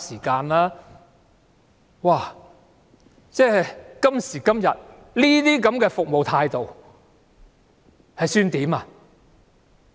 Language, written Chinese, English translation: Cantonese, 今時今日，這樣的服務態度可以接受嗎？, Is this service attitude still acceptable today?